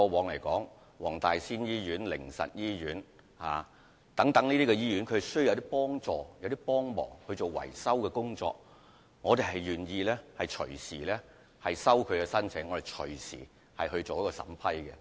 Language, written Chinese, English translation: Cantonese, 例如，黃大仙醫院、靈實醫院等過往亦曾在年度捐款計劃外提出捐款申請，我們願意隨時接受他們的申請，並願意隨時進行審批。, For example TWGHs Wong Tai Sin Hospital and Haven of Hope Holistic Care Centre had submitted donation applications other than the ones made under the two annual schemes when they needed to carry out repairs in the past . We are always ready to receive applications and will vet and approve them readily